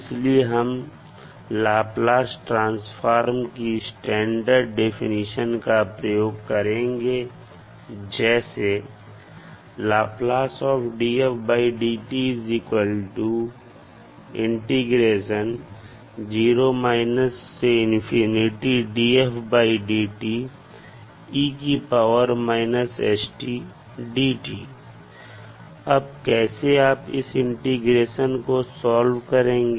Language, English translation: Hindi, So when you use this standard definition of Laplace transform this will be the integration between 0 to infinity